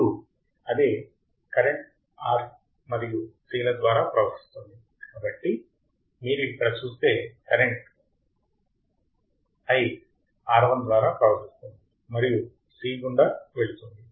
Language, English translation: Telugu, Now, since the same current flows through R and C right, if you see here current i1 flows through R and goes through C